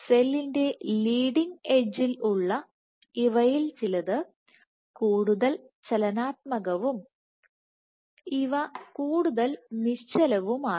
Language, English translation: Malayalam, This some of these so, at the leading edge of the cell these are more dynamic and these are more static